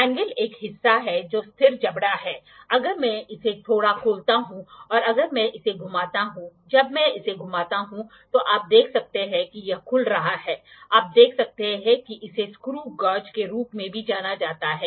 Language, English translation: Hindi, The anvil is a portion that is the fixed jaw, if I if I open it little if when I rotate it, when I rotate it you can see it is opening, you can see it is also known as screw gauge screw gauge why it is known as screw gauge